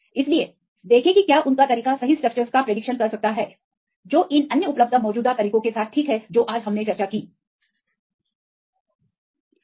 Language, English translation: Hindi, So, see whether their method can predict right the structures right fine with these other available existing methods right summarizing what we discussed today